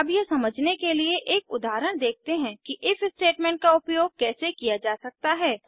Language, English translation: Hindi, now Let us look at an example to understand how the If Statement can be used